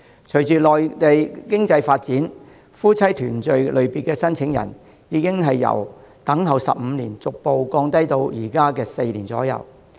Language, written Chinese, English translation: Cantonese, 隨着內地經濟發展，夫妻團聚類別的申請人，等候年期已由15年逐步降低至現時的4年。, As the economy of the Mainland develops the waiting period for applications under the spousal reunion category has gradually shortened from 15 years to 4 years now